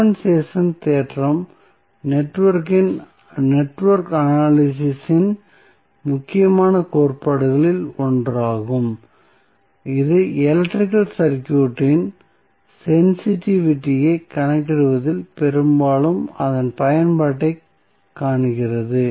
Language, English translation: Tamil, Compensation theorem is also 1 of the important theorems in the network analysis, which finds its application mostly in calculating the sensitivity of the electrical circuit